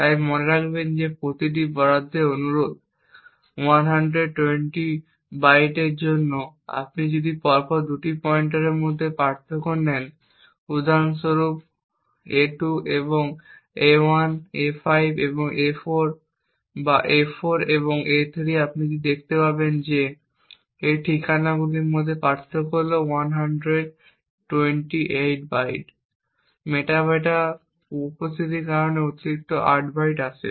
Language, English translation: Bengali, So note that each allocation request is for 120 bytes and if you actually take the difference between any two consecutive pointers, for example a2 and a1, a5 and a4 or a4 and a3 you would see that the difference in these addresses is 128 bytes, the extra 8 bytes comes due to the presence of the metadata